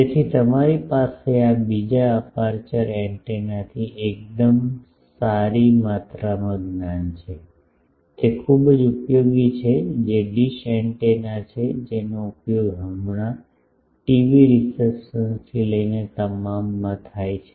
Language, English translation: Gujarati, So, you have a fairly good amount of knowledge from this another antenna aperture antenna, that is very useful that is dish antenna which is used in, now a day all the even TV receptions